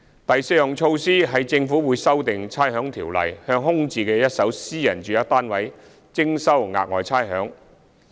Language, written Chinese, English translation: Cantonese, 第四項措施，是政府會修訂《差餉條例》，向空置的一手私人住宅單位徵收額外差餉。, The fourth initiative is that the Government will amend the Rating Ordinance to introduce Special Rates on vacant first - hand private residential units